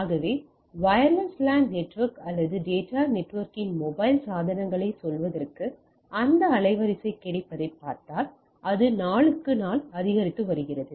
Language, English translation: Tamil, So, rather the if we look at that bandwidth availability with, in a wireless LAN network or data network par to say our mobile devices, it is increasing day by day right